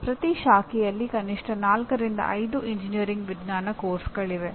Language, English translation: Kannada, Each branch has at least 4 5 engineering science courses